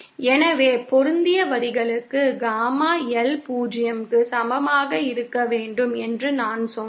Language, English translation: Tamil, So, this is why I said that for matched lines, Gamma L should be equal to 0